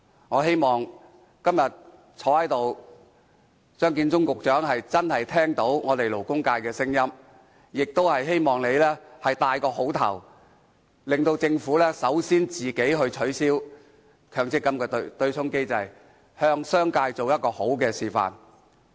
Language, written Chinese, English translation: Cantonese, 我希望今天出席的張建宗局長真的聆聽勞工界的聲音，亦希望局長能給大家好的開始，由政府帶頭取消強積金對沖機制，向商界做好的示範。, I hope that Secretary Matthew CHEUNG who is present at the meeting today would genuinely listen to the voices of the labour sector . I also hope that the Secretary would give us a good start and take the lead to abolish the MPF offsetting mechanism and set a good model for the business sector